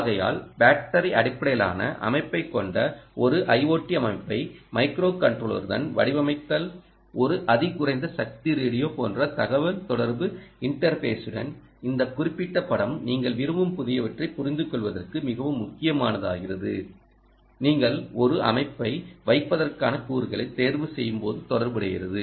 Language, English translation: Tamil, all of this we will have to be done and therefore designing an i o t system with battery, ah battery, ah, battery based system with a microcontroller, with a communication interface, like a ultra low power radio, this particular picture becomes ah, very, very critical for you to understand the new wants us that are associated when you chose components for putting a system in place